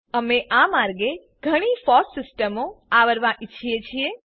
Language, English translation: Gujarati, We wish to cover many FOSS systems through this route